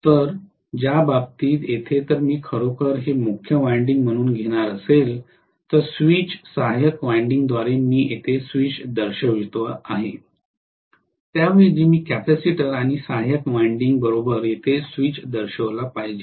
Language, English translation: Marathi, So in which case here if I am going to have actually this as the main winding and I am going to have through the switch auxiliary winding I should show the switch here, rather I should show the switch here along with the capacitor and auxiliary winding